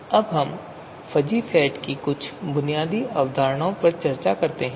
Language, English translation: Hindi, Now let us talk about some of the basic concepts of you know, fuzzy sets